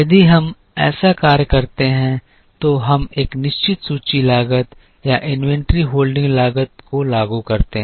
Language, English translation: Hindi, If we do such a thing then we incur a certain inventory cost or inventory holding cost